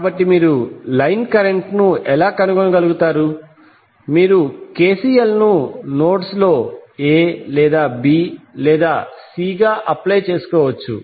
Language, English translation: Telugu, So how you can find out the line current, you can simply apply KCL at the nodes either A or B or C you can apply the KCL